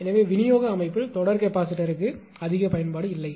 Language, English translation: Tamil, So, there is not much application for the series capacitor in the distribution system right